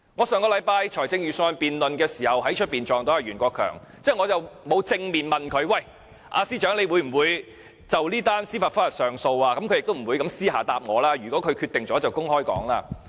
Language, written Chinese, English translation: Cantonese, 上星期辯論預算案的時候，我遇到袁國強司長，我沒有正面問他會否就這宗司法覆核提出上訴，他當然不會私下回答我，如果決定了他就會公布。, I bumped into Secretary Rimsky YUEN at last weeks Budget debate . I did not ask him directly whether an appeal would be lodged against this judicial review Judgment . Of course he will publicly announce the decision instead of telling me in private